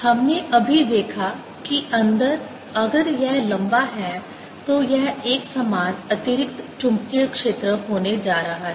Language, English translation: Hindi, we just saw that inside, if it is a long one, its going to be a uniform additional magnetic field